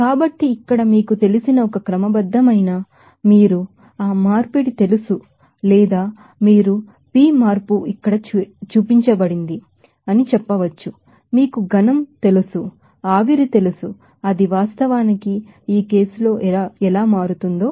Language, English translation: Telugu, So, here one you know that systematic you know that conversion of that or you can say that P change is shown here for you know solid to you know vapor how it is actually changing this case